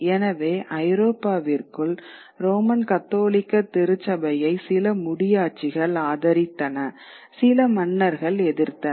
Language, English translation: Tamil, So, within Europe there would be certain monarchies who supported the Roman Catholic Church, certain monarchs who would oppose the Roman Catholic Church